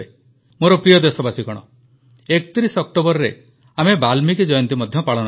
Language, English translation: Odia, On the 31st of October we will also celebrate 'Valmiki Jayanti'